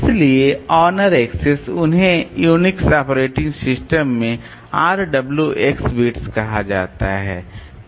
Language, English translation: Hindi, So, owner access so they are called RWX bits in Unix operating system